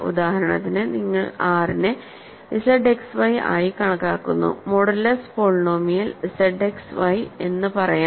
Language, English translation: Malayalam, For example you consider R to be Z X Y let us say modulo the element polynomial X Y